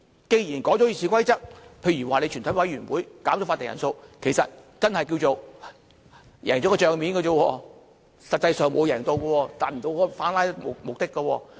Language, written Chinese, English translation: Cantonese, 既然修改了《議事規則》，例如全體委員會減少法定人數，其實只是叫作"贏了帳面"，實際上沒有贏，無法達到反"拉布"的目的。, After the Rules of Procedure are amended such as reducing the quorum of a committee of the whole Council we have only achieved the book value gain but not any gain in real terms . As a result we cannot achieve any anti - filibuster objective